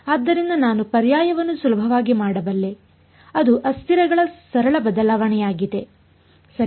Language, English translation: Kannada, So, that is why I could do the substitution easily it was a very simple change of variables right